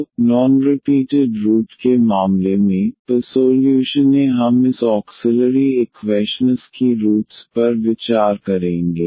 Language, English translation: Hindi, So, the case of non repeated roots, first we will consider when the roots of this auxiliary equations